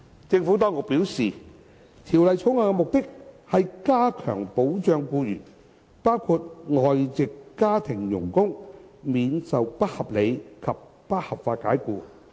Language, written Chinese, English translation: Cantonese, 政府當局表示，《條例草案》的目的是加強保障僱員，包括外籍家庭傭工，免受不合理及不合法解僱。, The Administration has advised that the object of the Bill is to enhance protection of employees including foreign domestic helpers against unreasonable and unlawful dismissal